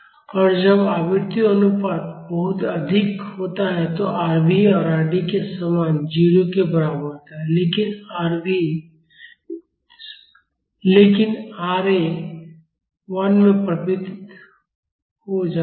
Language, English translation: Hindi, And when the frequency ratio is much higher Rv is equal to 0 similar to Rd, but Ra converges to 1